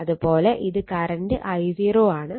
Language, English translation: Malayalam, So, and this is the current I 0